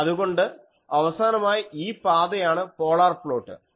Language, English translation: Malayalam, So, this is a point on the final polar plot